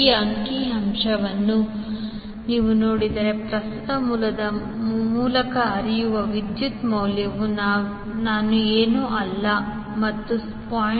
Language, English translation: Kannada, If you see this particular figure the value of current which is flowing through the current source is equal to the I naught plus 0